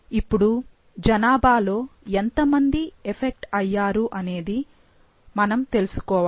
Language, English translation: Telugu, Now, we need to know what is the affected portion of the population